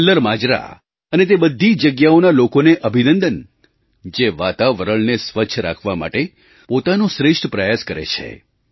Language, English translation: Gujarati, Congratulations to the people of KallarMajra and of all those places who are making their best efforts to keep the environment clean and pollution free